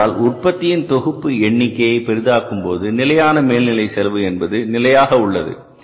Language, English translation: Tamil, Because if the number of production, volume of the production is large, fixed overhead cost remaining the fixed per unit cost comes down